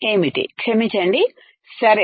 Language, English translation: Telugu, What is that sorry, ok